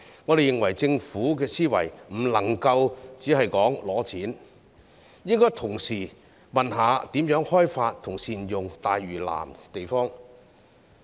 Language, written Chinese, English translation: Cantonese, 我們認為政府的思維不能夠只是申請撥款，應該同時詢問如何開發和善用大嶼南的地方。, In our view the Government should not merely think about seeking funding but it should also ask itself how to develop and make good use of sites in South Lantau . In fact many sites in Lantau as a whole have not been put to use